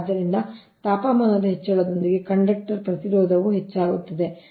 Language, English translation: Kannada, so the conductor resistance increases with the increase of the temperature